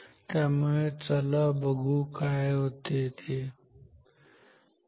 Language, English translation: Marathi, So, let us see what happens ok